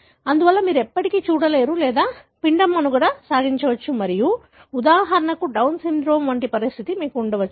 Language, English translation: Telugu, Therefore you never see or the embryo may survive and you may have a condition, like for example Down syndrome